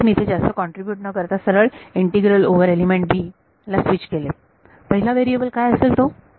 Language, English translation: Marathi, So, that is why I did not contribute now I have switched to the integral over element b first variable what will it be